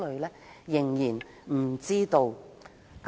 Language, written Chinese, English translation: Cantonese, 我們仍然不知道。, We still have no idea at the moment